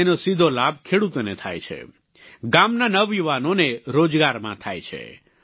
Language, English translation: Gujarati, This directly benefits the farmers and the youth of the village are gainfully employed